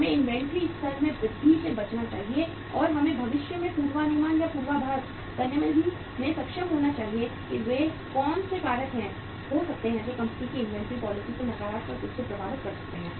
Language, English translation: Hindi, We should avoid the increase in the inventory level and we should be able to forecast or forseeing the future that what could be the factors that might affect the inventory policy of the company negatively